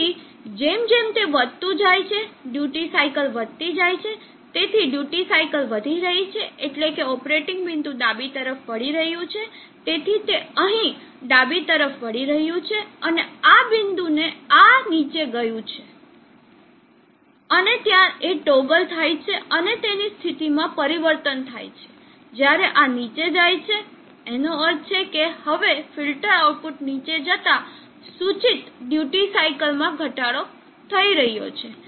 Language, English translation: Gujarati, So as it is rising up the duty cycle is increasing, so duty cycle is increasing means that the operating point is moving to the left, so it is moving to the left here and at this point this has gone down and there is a toggle and there is a change in the state when this goes down which means now the filter output is going down implying the duty cycle is decreasing